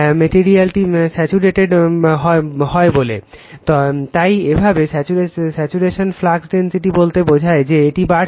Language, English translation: Bengali, The material is said to be saturated, thus by the saturations flux density that means, this you are increasing